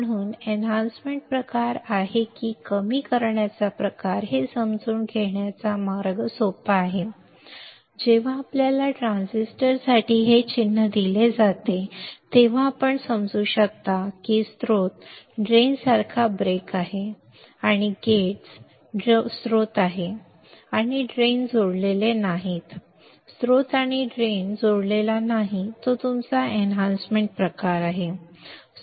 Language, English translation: Marathi, So, easy way of understanding whether is enhancement type or depletion type is, when you are given a this symbol for the transistor then you can understand if there is a break like source drain and gates are source and drain is not connected, source and drain is not connected it is your enhancement type